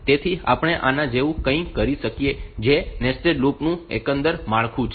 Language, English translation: Gujarati, So, what we can do like this is the overall structure of a nested loop